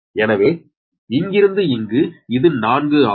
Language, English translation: Tamil, this is given four, so it is plus four